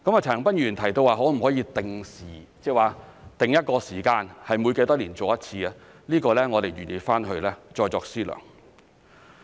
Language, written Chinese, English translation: Cantonese, 陳恒鑌議員提到可否定下時間，每多少年做一次，這方面我們會再作思量。, If it is found that more features can be included we will do so . Mr CHAN Han - pan has mentioned whether a timetable can be drawn up on the number of years between each validation